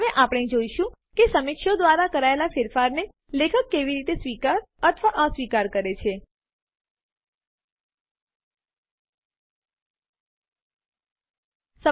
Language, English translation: Gujarati, We will now show how the author can accept or reject changes made by the reviewer